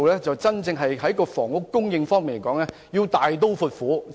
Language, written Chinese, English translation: Cantonese, 在房屋供應方面，當局必須大刀闊斧。, The authorities must take drastic measures in respect of housing supply